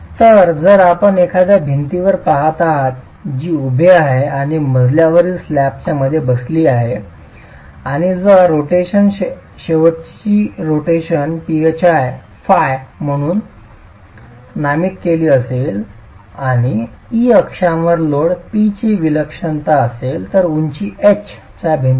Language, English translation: Marathi, So, if you are looking at a wall which is carrying your vertical load and sitting between floor slabs and if the rotation, the end rotations are designated as phi and E being the eccentricity of the axial load P for a wall of height H